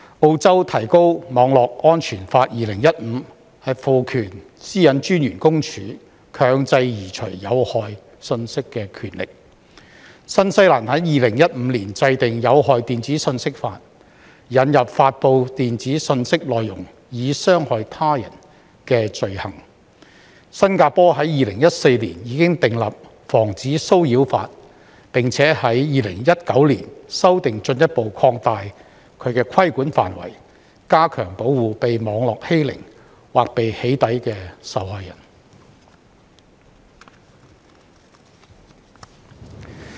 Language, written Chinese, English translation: Cantonese, 澳洲《提高網絡安全法2015》賦權私隱專員公署強制移除有害信息的權力；新西蘭在2015年制定《有害電子信息法》，引入"發布電子信息內容以傷害他人"的罪行；新加坡在2014年已訂立《防止騷擾法》，並在2019年修訂，進一步擴大規管範圍，加強保護被網絡欺凌或被"起底"的受害人。, Australias Enhancing Online Safety Act 2015 empowers the Office of the eSafety Commissioner to enforce the removal of harmful communications . New Zealand enacted the Harmful Digital Communications Act in 2015 introducing an offence of causing harm by posting a digital communication . In 2014 Singapore enacted the Protection from Harassment Act and amended it in 2019 to further expand the scope of regulation and enhance protection for victims of cyberbullying or doxxing